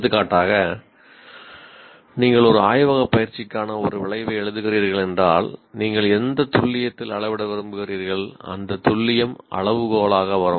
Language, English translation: Tamil, For example, if you are writing an outcome for a laboratory exercise to what accuracy you would like to measure something, that accuracy will come as a as a criteria as well